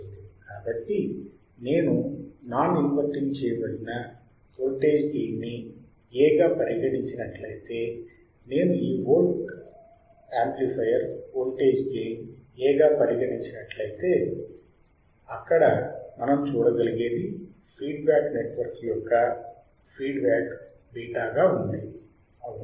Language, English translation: Telugu, So, if I consider a non inverting implemented voltage gain A, if I consider this amplifier volt voltage gain A, what we can see there is a feedback network with feedback factor beta right